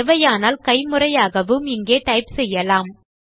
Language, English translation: Tamil, Also can be manually typed in here if needed